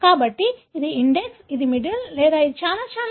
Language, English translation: Telugu, So, which one is index, which one is middle, or it is very, very difficult